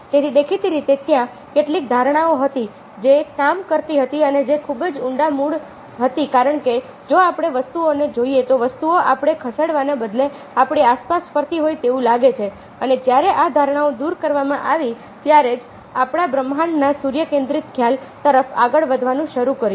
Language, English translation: Gujarati, so obviously they were certain assumptions which were working and which were very deep rooted, because if we looking at thinks, thinks seem to be moving around us rather then we moving, ok, and it was only when these assumption were thrown away that we started moving to, at a sense, tic concept of the universe